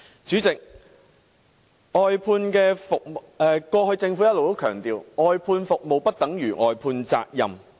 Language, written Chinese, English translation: Cantonese, 主席，過去政府一直強調，外判服務不等於外判責任。, President all along the Government has emphasized that outsourcing the services does not mean outsourcing the responsibility